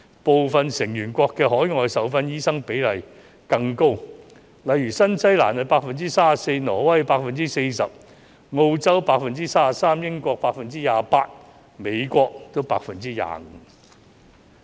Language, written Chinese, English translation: Cantonese, 部分成員國的海外受訓醫生比例更高，例如新西蘭 34%、挪威 40%、澳洲 33%、英國 28% 及美國 25%。, The ratios of overseas - trained doctors in some member countries are even higher . For example they account for 34 % in New Zealand 40 % in Norway 33 % in Australia 28 % in the United Kingdom and 25 % in the United States